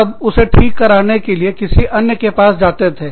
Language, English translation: Hindi, Then, you would go to somebody else, to get it fixed